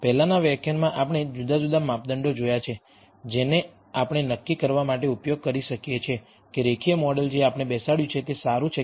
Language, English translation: Gujarati, In the previous lecture we saw different measures that we can use to assess whether the linear model that we have fitted is good or not